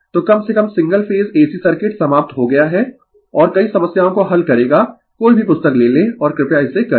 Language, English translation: Hindi, So, at least single phase ac circuit is over and you will solve many problems take any book and you please do it